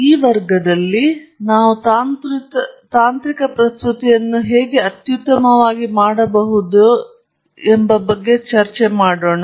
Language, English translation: Kannada, Hello, in this class, we will look at how to make a technical presentation